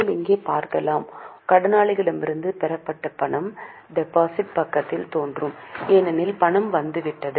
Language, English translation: Tamil, You can see here cash received from daters will appear on debit side because the money has come in